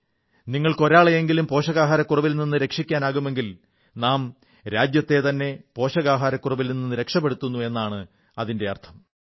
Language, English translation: Malayalam, If you manage to save a few people from malnutrition, it would mean that we can bring the country out of the circle of malnutrition